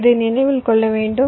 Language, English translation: Tamil, ok, this you should remember